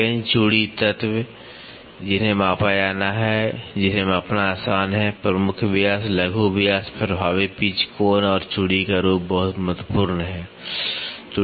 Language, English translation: Hindi, Screw thread elements which are to be measured or which is easy to measure; major diameter, minor diameter effective pitch angle and form of threads are very important